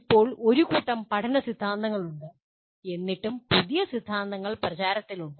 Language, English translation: Malayalam, Now there are a whole bunch of learning theories and still newer theories are coming into vogue